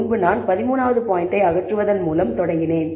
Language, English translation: Tamil, So, earlier I started by removing 13th point